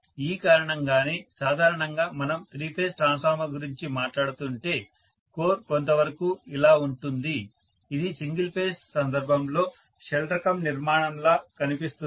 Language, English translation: Telugu, That is the reason why normally if we are talking about the three phase transformer the core is somewhat like this, it looks like a shell type construction for a single phase case